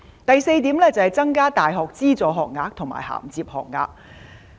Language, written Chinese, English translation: Cantonese, 第四點，增加大學資助學額和銜接學額。, Fourth I propose to increase the numbers of subsidized university places and subsidized top - up places